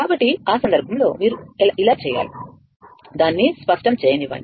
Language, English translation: Telugu, So, in that case, you have to make, just let me clear it